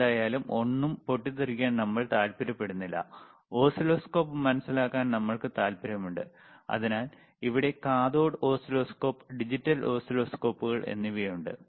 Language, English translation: Malayalam, But anyway, we are not interested in blasting anything, we are interested in understanding the oscilloscope; so cathode oscilloscope here, digital oscilloscopes here